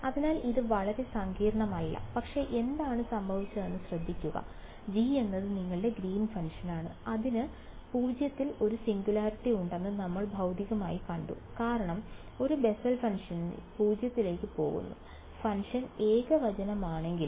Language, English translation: Malayalam, So, it is not very complicated, but just notice what happened, G is your greens function, we have intuit physically seen that it has a singularity at 0 because at a Bessel y function was going to 0, even though the function is singular what is the integral of that function